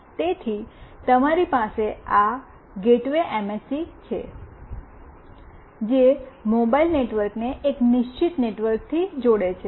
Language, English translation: Gujarati, So, you have this gateway MSC, which connects mobile network to a fixed network